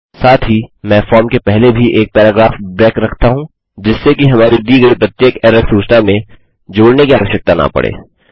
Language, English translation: Hindi, Also let me put a paragraph break before the form so that we dont need to add it to every error message we give